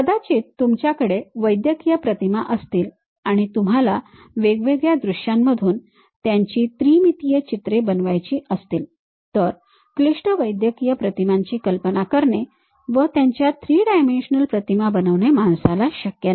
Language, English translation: Marathi, Perhaps you might be having a medical imaging thing and you would like to construct 3 dimensional pictures from different views, is not possible by a human being to really visualize that complicated medical images to construct something like 3D